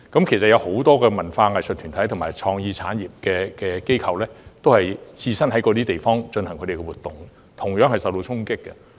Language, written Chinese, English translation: Cantonese, 其實，多個文化藝術團體和創意產業機構均在上述地方進行活動，他們亦同樣受到衝擊。, In fact many cultural and arts groups and establishments in the creative industry have held events at the aforesaid venues and they have been affected as well